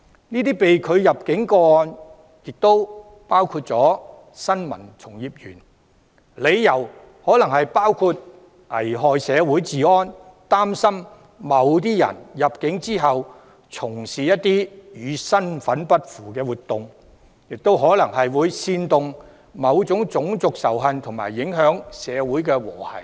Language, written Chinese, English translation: Cantonese, 這些被拒入境個案亦涉及新聞從業員，理由可能包括危害社會治安，擔心某些人入境後會從事與身份不符的活動或可能會煽動種族仇恨和影響社會和諧等。, People who are denied entry may include journalists and the reasons for rejection may include jeopardizing public security; concerns that these people may upon entry engage in activities unbecoming of their status such as inciting racial hatred and affecting social harmony